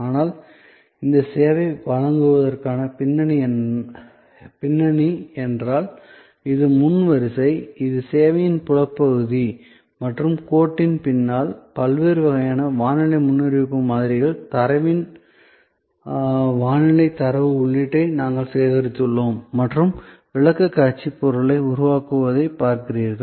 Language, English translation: Tamil, But, if the background to provide this service, so this is the front line, this is the visible part of the service and behind the line, we have collection of weather data, input of the data into various kinds of weather forecast models and creating the presentation material, which is what you see